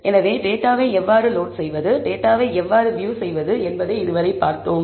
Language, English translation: Tamil, Now, we have seen how to load the data and how to view the data